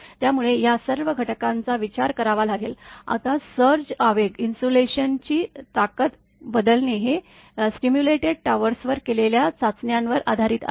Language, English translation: Marathi, So, all these factors actually you have to consider, now switching surge impulse insulation strength is based on tests that have been made on simulated towers